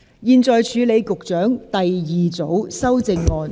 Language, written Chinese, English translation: Cantonese, 現在處理局長的第二組修正案，即新訂條文。, The committee now deals with the Secretarys second group of amendment that is the new clause